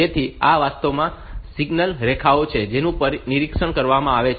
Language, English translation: Gujarati, So, these are actually the signal lines that are monitored